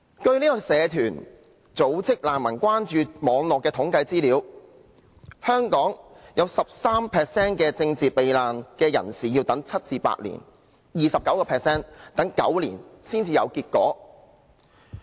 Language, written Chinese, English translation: Cantonese, 據社團組織"難民關注網絡"的統計資料，香港有 13% 的政治避難人士要等待7至8年 ，29% 要等待9年才有結果。, According to the statistics of the Refugee Concern Network a social service organization 13 % of political asylum seekers in Hong Kong had to wait for at least 7 to 8 years while 29 % of them had to wait for 9 years before a decision was made